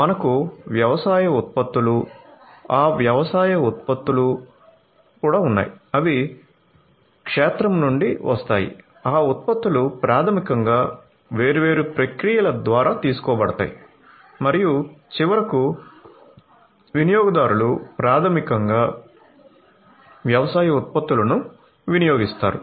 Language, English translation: Telugu, So, we have agricultural produce, those agricultural produce get they come from the field then those produces are basically taken through different processes and finally, you know the consumers basically consume the agricultural produce